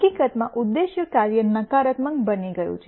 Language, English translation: Gujarati, In fact, the objective function has become negative